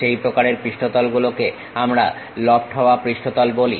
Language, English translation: Bengali, That kind of surfaces what we call lofted surfaces